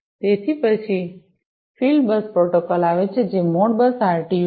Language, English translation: Gujarati, Then, comes the field bus protocol which is the Modbus RTU